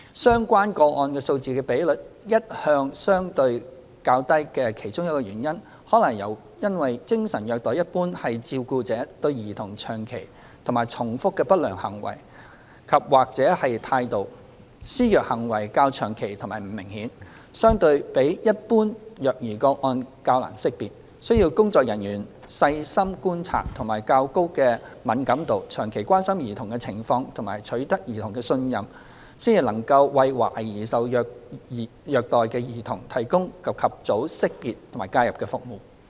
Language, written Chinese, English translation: Cantonese, 相關個案數字的比率一向相對較低的其中一個原因，可能是因為精神虐待一般是照顧者對兒童長期和重複的不良行為及/或態度，施虐行為較長期及不明顯，相對比一般虐兒個案較難識別，需要工作人員細心觀察及較高的敏感度、長期關心兒童的情況及取得兒童的信任，才能為懷疑受虐兒童提供及早識別和介入服務。, One possible reason of the relatively low rates is that psychological abuse generally refers to a carers prolonged and repeated negative behaviours andor attitudes towards a child; and since such abusive behaviours persist for a relatively long period of time and are less obvious they are less identifiable than other child abuse cases in general . The caseworker needs to be observant sensitive and attentive to the childs situation for a long period and obtain the childs trust to enable early identification and intervention for suspected cases of child abuse